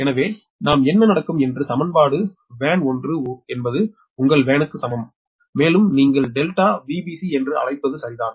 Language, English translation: Tamil, so in that case, so what we will happen, the equation will be: v a n dash is equal to your v a n plus your what you call delta v b c, right